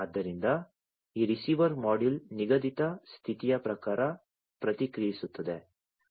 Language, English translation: Kannada, So, this receiver module will then respond, according to the set condition